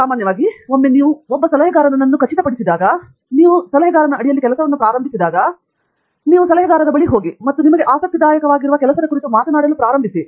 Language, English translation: Kannada, So, typically once you fix, once you are fixed under an advisor and you start working, you go to the advisor and start talking about what work is may be interesting to you